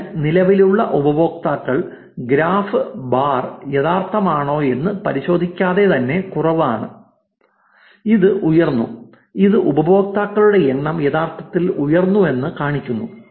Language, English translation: Malayalam, So, the existing user which is the light without the check that the graph the bar is actually, which is risen which is showing you that the number of users are actually risen